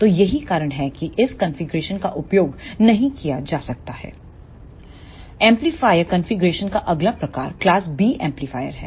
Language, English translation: Hindi, The next type of amplifier configuration is class B amplifier